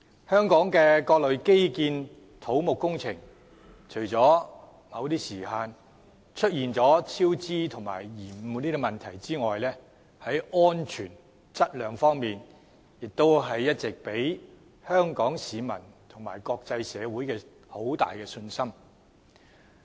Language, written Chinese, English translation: Cantonese, 香港的各類基建土木工程，除了某些項目出現超支及延誤的問題外，在安全和質量方面都一直給予香港市民和國際社會很大的信心。, Various infrastructural civil engineering projects in Hong Kong have despite cost overruns and delays in some projects also won the confidence of Hong Kong people and the international world in terms of safety and quality